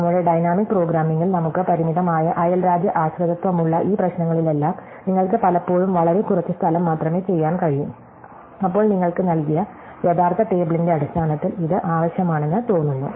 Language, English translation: Malayalam, So, in all these problems where we have a very limited neighborhood dependency in our dynamic programming, you can actually often make do with much less space, than it seems to require in terms of the actual table as given to you